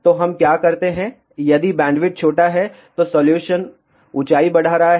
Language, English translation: Hindi, So, what do we do if bandwidth is small solution is increase the height